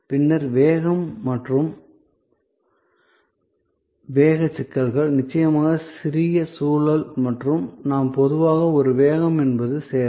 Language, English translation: Tamil, And then speed and the speed issues of course, the little contextual and we normally one speed is service